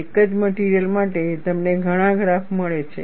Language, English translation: Gujarati, For one single material you get so many graphs